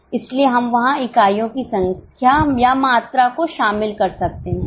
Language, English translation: Hindi, So, we can incorporate the quantity or number of units there